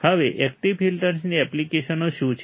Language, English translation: Gujarati, Now, what are the applications of active filters